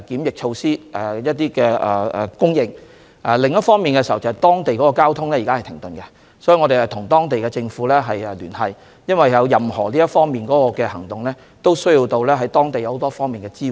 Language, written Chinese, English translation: Cantonese, 另一方面，由於當地的交通現時停頓，我們必須與當地政府聯繫，因為任何行動都需要得到當地很多方面的支援。, On the other hand as local transportation has been shut down in Wuhan we must engage with the local authorities to get various local support necessary for our operation there